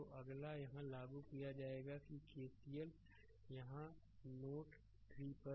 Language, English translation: Hindi, So, next is you apply here that the KCL here at node node 3